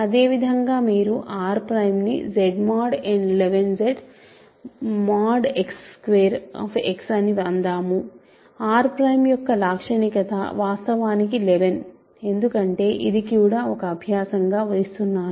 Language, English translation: Telugu, Similarly, if you take R prime to be Z mod 2 Z let us say or Z mod 11 Z X mod X squared characteristic of R prime is actually 11 because, this is also an exercise